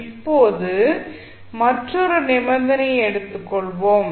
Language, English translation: Tamil, Now, let us take another condition